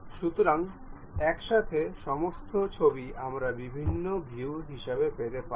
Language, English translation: Bengali, So, all the pictures at a time we can get as different views